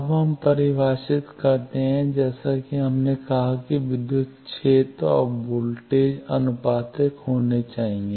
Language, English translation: Hindi, Now let us define as we said that the electric field and voltage should be proportional